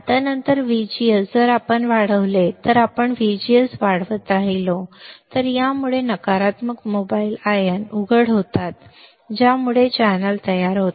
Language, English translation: Marathi, Now, later VGS if we increase, if we keep on increasing VGS it causes uncovering of negative mobile ions right which forms the channel